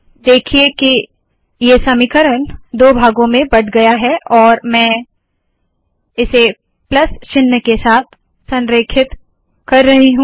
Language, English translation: Hindi, See that this equation has been broken into two parts and I am aligning it with the plus sign